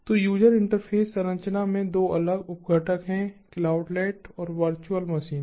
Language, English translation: Hindi, so user interface structure has two different sub components: the cloudlet and the virtual machine